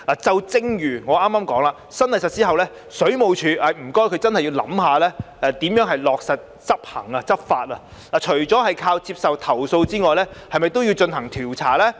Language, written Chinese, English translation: Cantonese, 正如我剛才提到，在新例實施後，請水務署真的要想想如何落實執法，除了接受投訴外，是否亦應進行調查？, As I just mentioned it is really necessary for WSD to think about how it should actually enforce the new legislation after it comes into operation . Apart from receiving complaints shouldnt WSD also conduct investigation against the complaints?